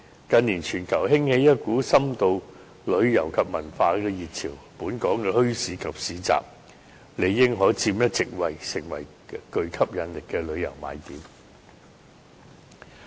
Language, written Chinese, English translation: Cantonese, 近年全球興起一股深度旅遊及文化遊的熱潮，本港的墟市及市集理應可佔一席位，成為別具吸引力的旅遊賣點。, In recent years there has been an upsurge of in - depth or cultural tourism globally . Local bazaars and markets in Hong Kong should be able to find a place in this trend and become tourist attractions